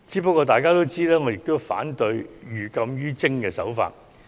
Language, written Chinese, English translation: Cantonese, 不過，眾所周知，我亦反對採取寓禁於徵的做法。, Nevertheless it is well known to all that I oppose the imposition of prohibitive levies